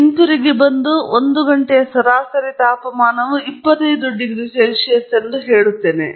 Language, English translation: Kannada, And I come back and postulate that the average temperature during that one hour is 25 degrees Celsius